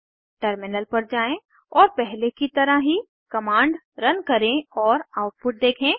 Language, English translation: Hindi, Switch to the terminal and run the command like before and see the output